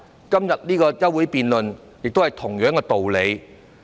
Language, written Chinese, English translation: Cantonese, 今天這項休會辯論，亦是同樣道理。, This is also the rationale for conducting this debate on the adjournment motion today